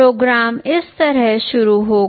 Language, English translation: Hindi, The program will start like this